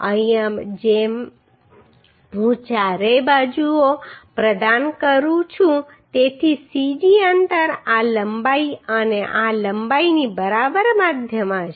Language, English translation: Gujarati, Here as I provide in all four sides so cg distance will be the middle of this length and this length right